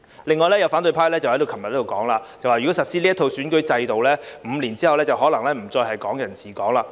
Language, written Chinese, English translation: Cantonese, 另有反對派昨天在這裏表示，如果實施這一套選舉制度 ，5 年後可能不再是"港人治港"。, Another opposition Member said here yesterday that if this electoral system is implemented Hong Kong people administering Hong Kong may no longer exist in five years time